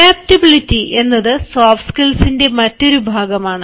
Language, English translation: Malayalam, that is one of the key skills of soft skills